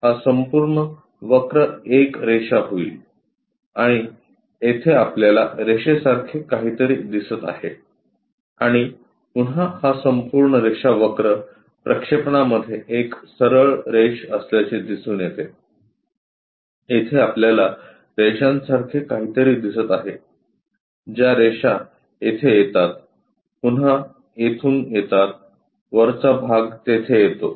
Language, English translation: Marathi, This entire curve turns out to be a line and here we see something like a line and again this entire line curve turns out to be a straight line on the projection, here we see something like a line that line comes there again from here the top portion comes there